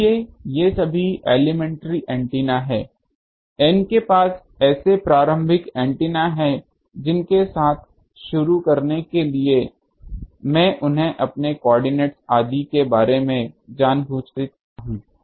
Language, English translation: Hindi, So, all these are elementary antennas I have N such elementary antennas to start with I am distributed them haphazardly at each I know their coordinates etc